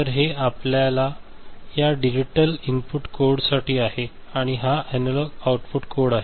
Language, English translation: Marathi, So, this is for your this digital input code, and this is the analog output code